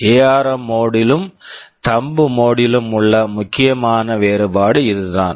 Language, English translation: Tamil, This is the main difference between the ARM mode and the Thumb mode